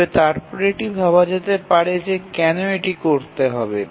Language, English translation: Bengali, But then you might be wondering that why does it have to do so